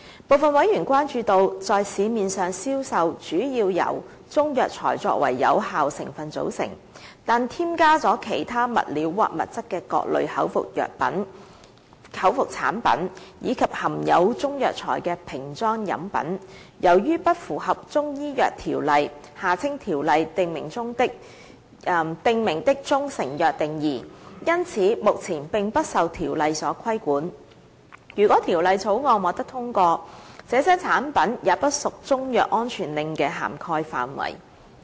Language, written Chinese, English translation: Cantonese, 部分委員關注到，在市面上銷售，主要由中藥材作為有效成分組成，但添加了其他物料或物質的各類口服產品，以及含有中藥材的瓶裝飲品，由於不符合《中醫藥條例》訂明的中成藥定義，因此目前並不受《條例》所規管。如果《條例草案》獲得通過，這些產品也不屬中藥安全令的涵蓋範圍。, Some Members are concerned about the public health risk that might arise from the various orally consumed products composing mainly of Chinese herbal medicines but added other materials or substances as active ingredients being sold in the market and bottled drinks containing Chinese herbal medicines which are currently not regulated under the Chinese Medicine Ordinance CMO and if the Bill is passed would not be subject to CMSO as they do not fall within the definition of proprietary Chinese medicine under CMO